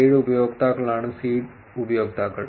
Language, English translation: Malayalam, 7 users is the seed users